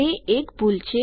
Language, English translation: Gujarati, Thats a mistake